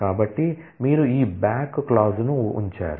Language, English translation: Telugu, So, you put this back clause